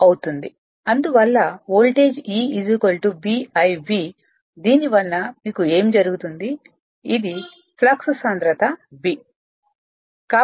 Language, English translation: Telugu, Therefore, what will happen because of that a voltage E is equal to B into this the flux density B